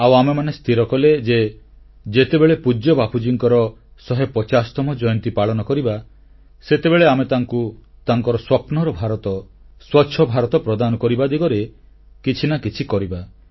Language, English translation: Odia, And, all of us took a resolve that on the 150th birth anniversary of revered Bapu, we shall make some contribution in the direction of making Clean India which he had dreamt of